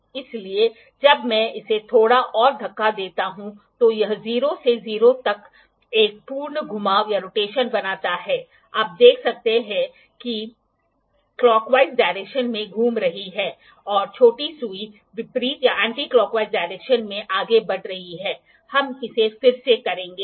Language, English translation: Hindi, So, when I push it a little more it makes one complete rotation from 0 to 0, you can see the larger needle is moving in the clockwise direction and the smaller needle is simultaneously moving in the anti clockwise direction, we will do it Again